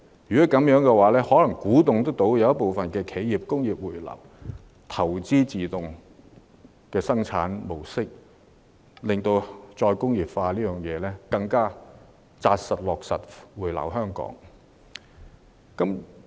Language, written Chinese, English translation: Cantonese, 如此一來，或許能鼓勵部分企業回流，投資自動生產模式，從而推動再工業化，落實回流香港。, In this way it may be possible to incentivize some enterprises to return and invest in automatic manufacturing processes so that we can promote re - industrialization and realize the return of industries to Hong Kong